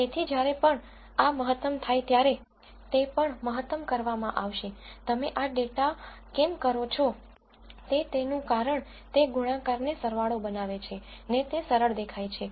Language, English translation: Gujarati, So, whenever this is maximized that will also be maximized, the reason why you do this it makes the product into a sum makes it looks simple